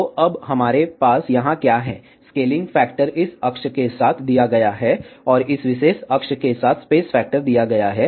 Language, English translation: Hindi, So, what we have here now, scaling factor is given along this axis, space factor is given along this particular axis